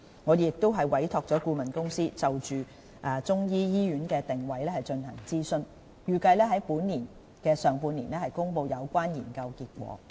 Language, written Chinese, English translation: Cantonese, 我們亦已委託顧問公司，就中醫醫院的定位進行諮詢，預計於本年上半年公布有關研究結果。, We have also commissioned a consultancy to conduct a consultation on the positioning of a Chinese medicine hospital . The relevant study result is expected to be published in the first half of this year